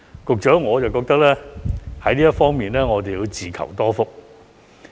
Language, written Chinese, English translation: Cantonese, 局長，我覺得我們在這方面要自求多福。, Secretary I think we have to fend for ourselves in this aspect